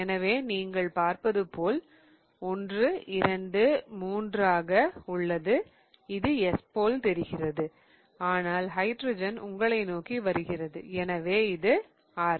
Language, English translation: Tamil, So, this will be 1, 2, 3 and it moves like R but the hydrogen is coming towards me so this is S